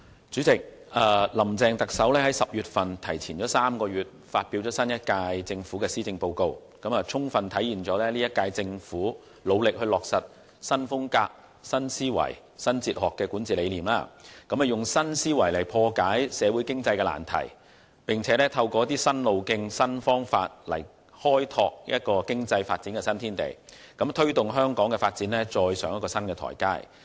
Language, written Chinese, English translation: Cantonese, 主席，特首"林鄭"提前了3個月在10月發表新一屆政府的施政報告，充分體現本屆政府努力落實"新風格、新思維、新哲學"的管治理念，以新思維來破解社會經濟難題，並透過一些新路徑、新方法來開拓經濟發展的新天地，推動香港的發展踏上新台階。, President Chief Executive Carrie LAMs decision to advance the delivery of the Policy Address of the new - term Government by three months to October has fully demonstrated the Governments dedication to implementing the governance philosophy of new style new thinking new philosophy . The Government seeks to solve thorny socio - economic problems with a new way of thinking and opens up new horizons for economic development by taking new paths and new methods with a view to bringing Hong Kongs development to another new stage